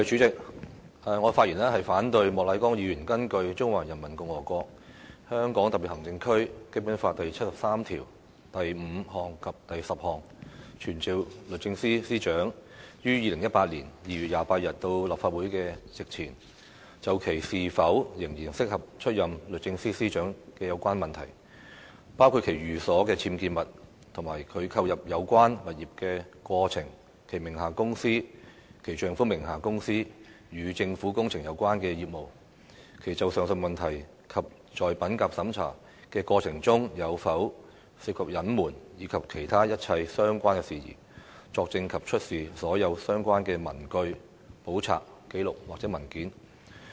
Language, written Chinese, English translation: Cantonese, 主席，我反對莫乃光議員根據《中華人民共和國香港特別行政區基本法》第七十三條第五項及第十項，傳召律政司司長於2018年2月28日到立法會席前，就其是否仍然適合出任律政司司長的有關問題，包括其寓所的僭建物、其購入有關物業的過程、其名下的公司、其丈夫名下的公司與政府工程有關的業務，其就上述問題及在品格審查的過程中有否涉及隱瞞，以及其他一切相關事宜，作證及出示所有相關的文據、簿冊、紀錄或文件。, President I oppose Mr Charles Peter MOKs motion that pursuant to Article 735 and 10 of the Basic Law of the Hong Kong Special Administrative Region of the Peoples Republic of China this Council summons the Secretary for Justice to attend before the Council on 28 February 2018 to testify and to produce all relevant papers books records or documents regarding issues in relation to whether she is still fit for the position of Secretary for Justice including the unauthorized building structures in her residence the process of purchasing the property concerned the company or companies under her name the public works - related business of the company under her husbands name and whether she was involved in any concealment of facts regarding the aforesaid issues and in the process of integrity check and all other related matters